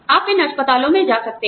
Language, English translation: Hindi, You can go to these hospitals